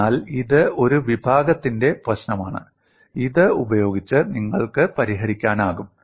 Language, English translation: Malayalam, So, this is one category of problem, you can solve using this